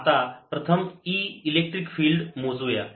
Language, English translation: Marathi, so now we will calculate e electric field first